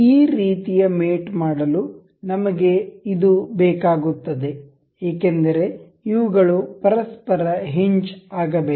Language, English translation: Kannada, To do to do this kind of mate, we need this because these are supposed to be hinged to each other